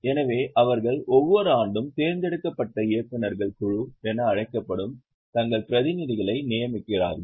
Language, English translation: Tamil, So, they appoint their representatives which are known as board of directors, which are elected every year